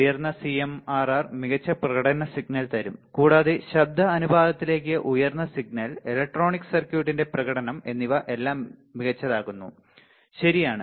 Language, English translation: Malayalam, Higher CMRR better the better the performance signal, higher signal to noise ratio better the performance of electronic circuit all right